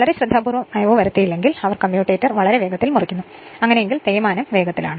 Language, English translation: Malayalam, Unless very carefully lubricated they cut the commutator very quickly and in case, the wear is rapid right